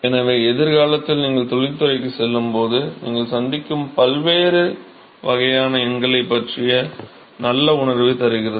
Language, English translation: Tamil, So, it gives a good feel of the different kinds of numbers that you will encounter, when you go to industry in the future